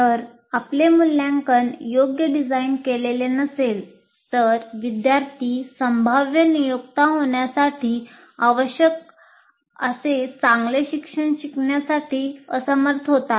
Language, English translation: Marathi, If your assessment is not designed right, the students are unlikely to learn anything well or properly as required by potential employers